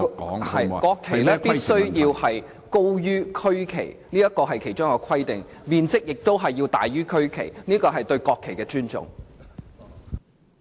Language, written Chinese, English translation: Cantonese, 國旗必須高於區旗，面積亦須比區旗大，這是對國旗的尊重。, The national flag shall be above the regional flat and larger in size than the regional flag as a token of respect to the national flag